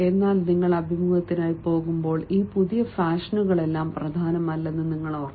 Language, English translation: Malayalam, but remember, when you go for the interview, all these you know new fashions and all they are not important